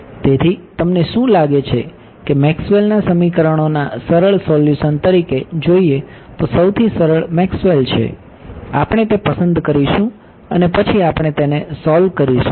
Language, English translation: Gujarati, So, what do you think is the simplest Maxwell as a simply solution to Maxwell’s equations, we will pick that and then we will solve that